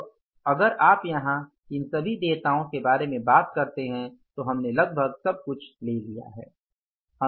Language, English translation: Hindi, So if you talk about all these items here, we have taken almost everything